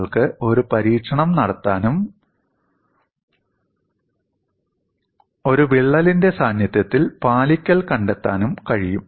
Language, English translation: Malayalam, You can simply perform an experiment and find out the compliance in the presence of a crack